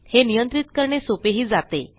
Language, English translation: Marathi, Its easier to control